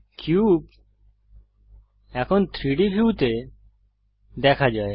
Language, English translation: Bengali, Now the cube can be seen in the 3D view